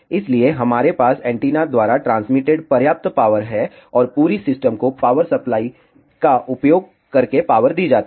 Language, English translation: Hindi, So, that we have enough power transmitted by the antenna and entire system is powered using a power supply